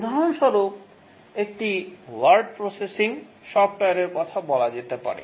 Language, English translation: Bengali, For example, let's say a word processing software